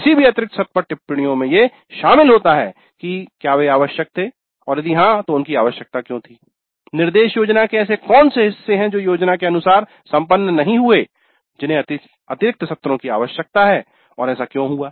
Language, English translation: Hindi, Then comments on any additional sessions were they required and if so why they were required which parts of the instruction planning did not go as per the plan requiring additional sessions and why that happened